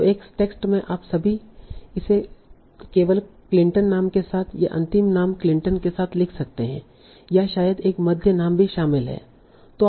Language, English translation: Hindi, So in a text you can all, you might try it with only the Clinton with the last name Clinton or maybe there is a middle name also involved there